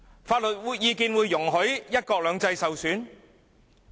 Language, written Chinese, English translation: Cantonese, 法律意見會容許"一國兩制"受損嗎？, Will any legal advice permit the damaging of one country two systems?